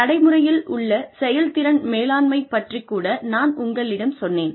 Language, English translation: Tamil, I also, told you about, performance management in practice